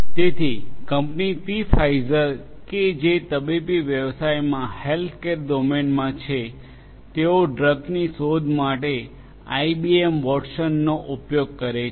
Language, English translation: Gujarati, So, the company Pfizer which is in the medical space the healthcare domain they exploit IBM Watson for drug discovery